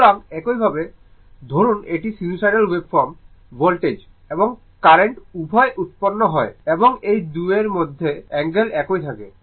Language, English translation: Bengali, So, this way suppose this sinusoidal waveform voltage and current both are generated, but angle between these 2 are remain same